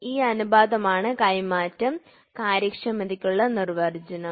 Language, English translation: Malayalam, So, this is the definition or this is the ratio for transfer efficiency